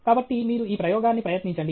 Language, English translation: Telugu, So, you try this experiment